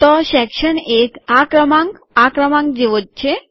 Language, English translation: Gujarati, So section 1, this number is the same as this one